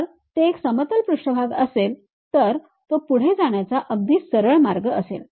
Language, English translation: Marathi, If it is plane surface it is pretty straight forward approach